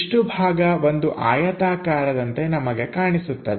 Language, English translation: Kannada, This much portion we will see as rectangle